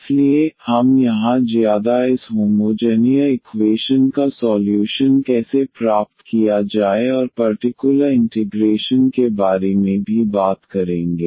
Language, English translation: Hindi, So, we will be talking about more here how to get the solution of this homogeneous equation in the next lecture and also about the particular integral